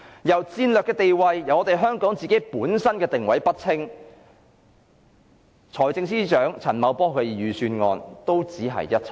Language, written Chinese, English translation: Cantonese, 若香港的戰略定位不清，財政司司長陳茂波的預算案也只屬空談。, If Hong Kongs strategic positioning is not clear the Budget of Financial Secretary Paul CHAN is merely empty talk